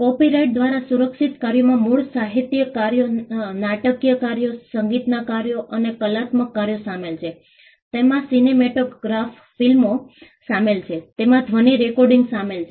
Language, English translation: Gujarati, Works protected by copyright include original literary works, dramatic works, musical works and artistic works, it includes cinematograph films, it includes sound recordings